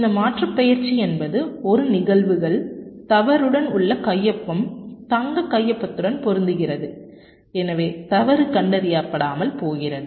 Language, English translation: Tamil, this aliasing is the phenomena that the signature, in the presence of a fault, matches with the golden signature and therefore the fault goes undetected